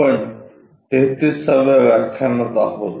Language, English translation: Marathi, We are at lecture number 33